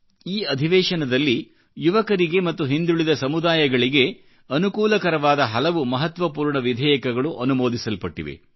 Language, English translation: Kannada, A number of importantbills beneficial to the youth and the backward classes were passed during this session